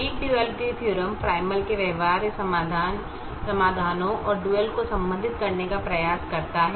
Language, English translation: Hindi, the weak duality theorem tried to relate feasible solutions to the primal and the dual